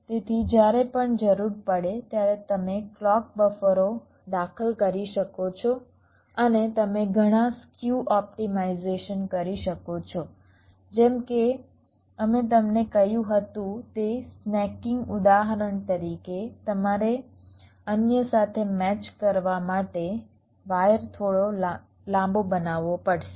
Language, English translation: Gujarati, ok, so after you do this, so you can insert the clock buffers whenever required and you can carry out several skew optimization, like that snaking example lie we told you about, you may have to make a wire slightly longer to match with the others